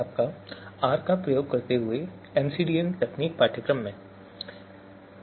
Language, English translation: Hindi, Welcome to the course MCDM Techniques Using R